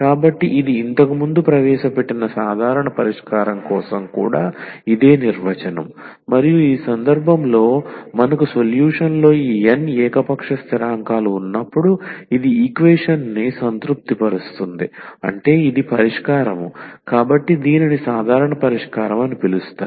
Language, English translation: Telugu, So, that was our definition also for the general solution which was introduced earlier and in this case when we have these n arbitrary constants in the solution and it satisfies the equation meaning this is the solution, so we can call this as the general solution